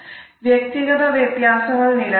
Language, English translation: Malayalam, The individual differences do exist